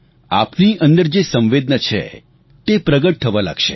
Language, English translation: Gujarati, The empathy within you will begin to appear